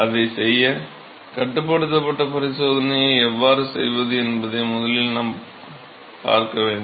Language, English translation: Tamil, So, in order to do that, we need to first look at how to perform a controlled experiment